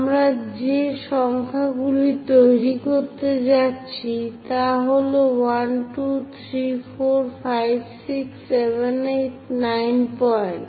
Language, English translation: Bengali, So, the numbers what we are going to make is 1, 2, 3, 4, 5, 6, 7, 8, 9 points